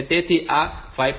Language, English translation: Gujarati, So, this 5